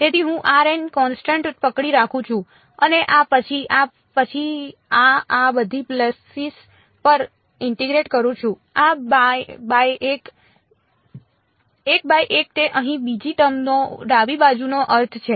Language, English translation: Gujarati, So, I am holding r m constant and integrating over this then this then this over all of these pulses 1 by 1 that is the meaning of the left hand side the second term over here